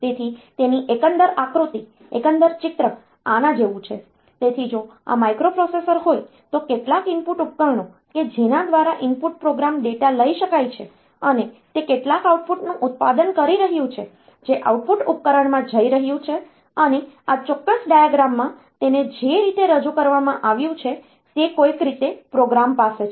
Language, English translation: Gujarati, So, overall diagram, overall picture is like this; so, if this is the microprocessor, it has got with it some input devices by which the input data can be input program data can be taken and it is producing some output which is going to the output device and in this particular diagram the way it is represented, it is somehow the program has been loaded into the memory